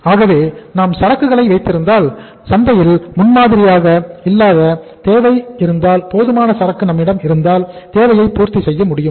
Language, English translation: Tamil, So if we keep inventory and sometime if there is a unprecedented demand in the market if we have the sufficient inventory we can fulfill the demand